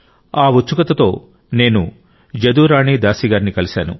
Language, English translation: Telugu, With this curiosity I met Jaduarani Dasi ji